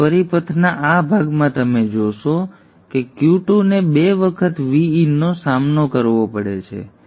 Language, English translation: Gujarati, So in this portion of the circuit you will see that Q2 has to withstand 2 times VIN